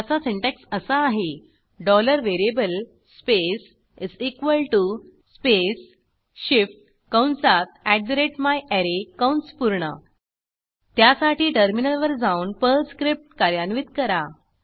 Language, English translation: Marathi, This syntax for this is $variable space = space shift open bracket @myArray close bracket Then switch to the terminal and execute the Perl script